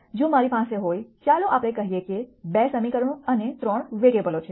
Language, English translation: Gujarati, If I had, let us say, 2 equations and 3 variables